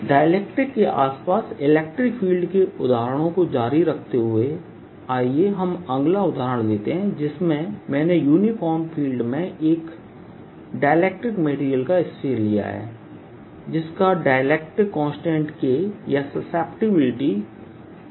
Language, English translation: Hindi, continuing the examples on electric fields around dielectrics, let's take next example where i put a sphere of dielectric material of constant k or susceptibility chi, e in a uniform field and now i ask what will happen